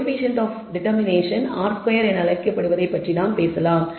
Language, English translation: Tamil, We can talk about what is called the coe cient of determination r squared, which is defined in this manner